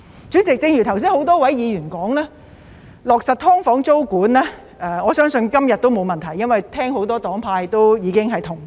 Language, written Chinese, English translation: Cantonese, 主席，正如剛才很多議員發言，今天要落實"劏房"租管應該問題不大，因為很多黨派已表示同意。, President as many Members have said it should not be a big problem to put tenancy control on SDUs into effect today as many political parties and groupings have already expressed their consent